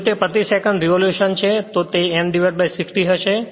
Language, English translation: Gujarati, If it is revolution per second it will be N by 60 then